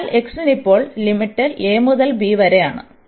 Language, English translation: Malayalam, So, for x now the limits are from a to b